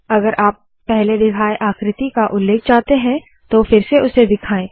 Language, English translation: Hindi, If you want to refer to a previously shown figure, show it again